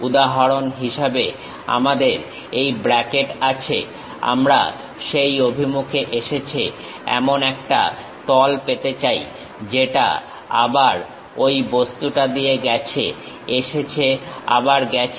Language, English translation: Bengali, For example: we have this bracket, I would like to have a plane comes in that direction goes, again pass through that object goes comes, again goes